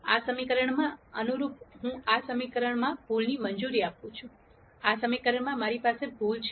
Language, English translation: Gujarati, In this equation correspondingly I allow an error in this equation, I have error in this equation